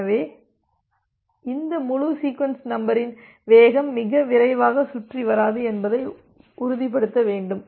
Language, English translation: Tamil, So, you need to ensure that this entire sequence number speed does not wrap around too quickly